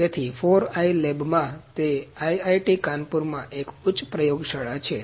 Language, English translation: Gujarati, So, in 4i lab, it is a High lab at IIT Kanpur